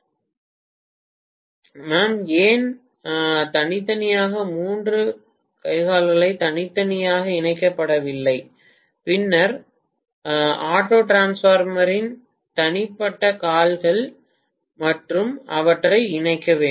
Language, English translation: Tamil, Ma’am, why these lot of (())(13:38) simply three limbs separately which are not connected to (())(13:42) and then auto transformer’s individual limbs and then connected them